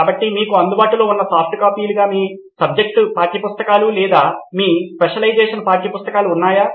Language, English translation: Telugu, So do you have your subject textbooks or your specialisation textbooks as softcopies available to you